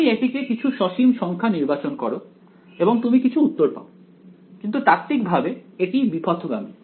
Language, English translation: Bengali, You chose it to be some finite number you will get some answer to this, but theoretically this integral is divergent